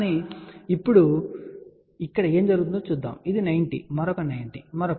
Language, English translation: Telugu, But now, let us see what is happening here this is 90, another 90, another 90